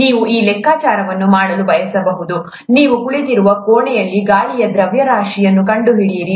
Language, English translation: Kannada, You may want to do this calculation, find out the mass of air in the room that you are sitting in